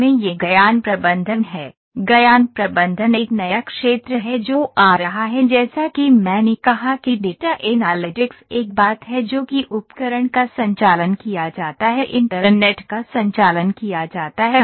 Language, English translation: Hindi, This is knowledge management, knowledge management is new field that is coming up as I said data analytics is one thing that manages tools are to be conducted internet thing is the IOT